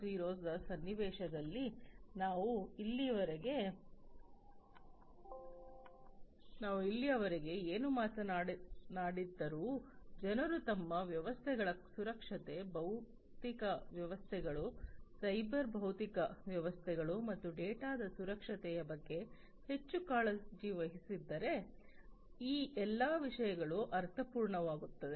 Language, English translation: Kannada, 0 whatever we have talked about so far, all these things would be meaningful, if people are not much concerned about the security of their systems, the physical systems, the cyber systems, the cyber physical systems in fact, and also the security of the data